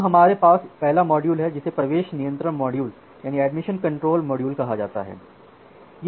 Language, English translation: Hindi, Now to ensure that we have the first module which is called the admission control module